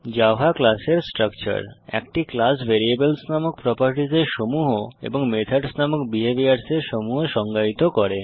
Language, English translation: Bengali, Structure of a Java Class A class defines: A set of properties called variables And A set of behaviors called methods